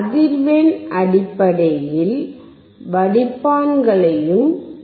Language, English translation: Tamil, Then we have also seen the filters based on the frequency